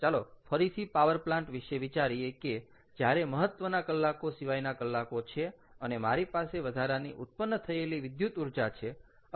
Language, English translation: Gujarati, let us say, let us again think of the power plant where, during off peak hours, i have additional, um, additional generation of electricity